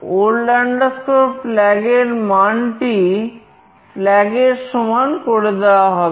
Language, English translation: Bengali, The old flag value is replaced by flag